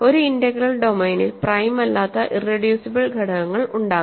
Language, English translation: Malayalam, In an integral domain irreducible elements can be there that are not prime